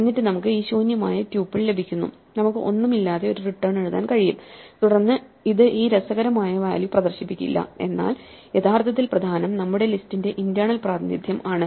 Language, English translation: Malayalam, And then we get this empty tuple, we can just write a return with nothing and then it would not display this funnier return value, but what is actually important is that the internal representation of our list is correctly changing with the functions that we have written